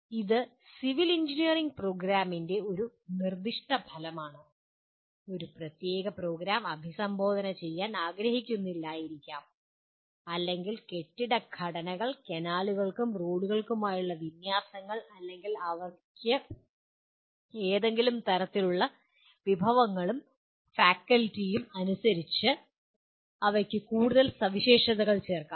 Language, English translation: Malayalam, This is one Program Specific Outcome of a civil engineering program and a particular program may or may not want to address let us say building structures, alignments for canals and roads or they may add some more features to that depending on the kind of resources and faculty they have